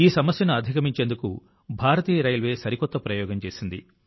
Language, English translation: Telugu, To overcome this problem, Indian Railways did a new experiment